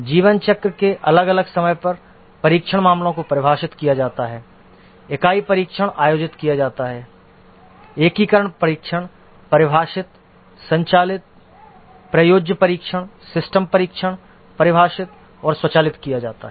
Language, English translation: Hindi, At different time of the lifecycle, the test cases are defined, unit testing is conducted, integration testing defined, conducted, usability testing, system testing is defined and conducted